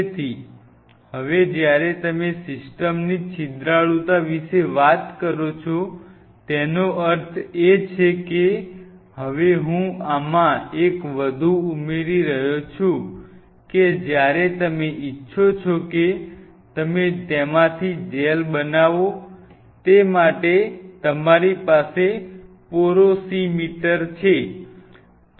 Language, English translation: Gujarati, So, now, when you talk of the porosity of the system; that means, now I am adding one more dimension to this you have to have porosimeter when you want you to make gel out of it